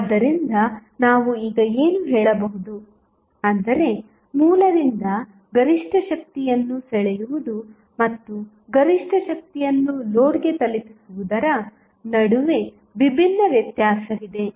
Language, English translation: Kannada, So, what we can say now, that, there is a distinct difference between drawing maximum power from the source and delivering maximum power to the load